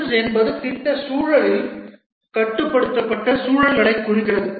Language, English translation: Tamil, Prince stands for project in controlled environments